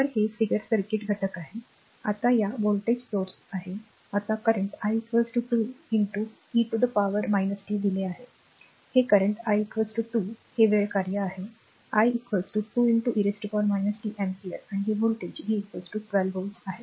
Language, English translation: Marathi, So, this is that this is the figure circuit element right, now this is the voltage source, now current i is equal to is given 2 into e to the power minus t ampere, this is the current i is equal to 2 it is the time function i is equal to say 2 into e to the power minus t ampere and this voltage v it is equal to 12 volt